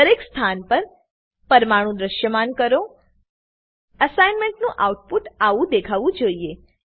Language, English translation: Gujarati, Display atoms on each position Output of the assignment should look like this